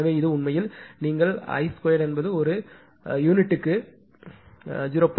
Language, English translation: Tamil, So, this is actually your i 2 is equal to 0